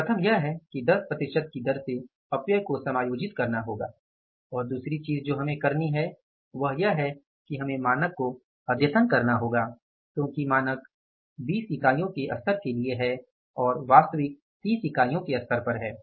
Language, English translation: Hindi, One thing is to adjust the issue of the wastages at the rate of 10 percent and second thing we have to do here is we have to upscale the standard because standard is for the 20 units level and actually is the 30 units level